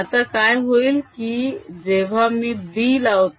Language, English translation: Marathi, now what will happen when i apply b